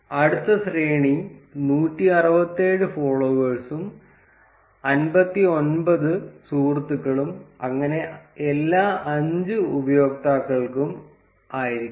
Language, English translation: Malayalam, The next array would be 167 followers and 59 friends and so on for all the 5 users